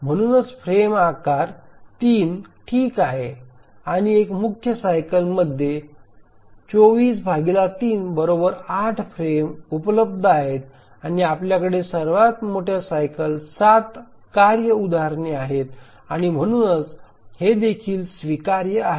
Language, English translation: Marathi, So even frame size 3 is okay and we have 24 by 3 which is 8 frames available in one major cycle and we have 7 task instances in a major cycle and therefore even this is acceptable